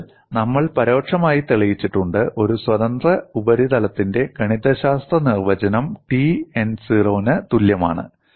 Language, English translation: Malayalam, So, we have indirectly proved, the mathematical definition of a free surface is T n equal to 0